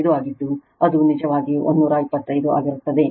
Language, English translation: Kannada, 5 it will be actually 125 right